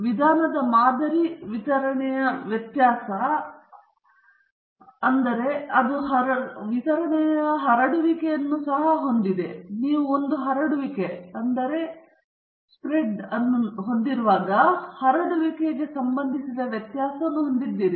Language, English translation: Kannada, The variance of the sampling distribution of the means, so the sampling distribution of the means is also having a spread; so when you have a spread, then you have a variance associated with the spread